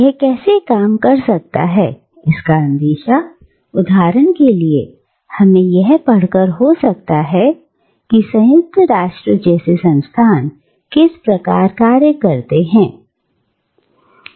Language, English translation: Hindi, And how this might work, wee get a glimpse of this by studying, for instance, how institutions like the United Nations, function today